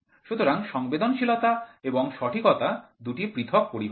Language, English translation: Bengali, So, the sensitivity and accuracy are two different terminologies